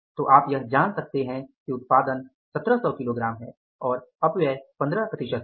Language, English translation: Hindi, So, you could find out that if the output is 1,700 kg and the wastage is 15%